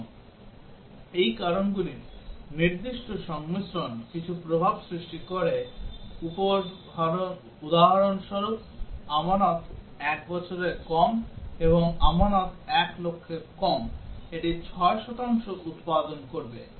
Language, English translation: Bengali, And specific combinations of these causes produce some effect for example, the deposit is less than 1 year and deposit is less than 1 lakh, it will produce 6 percent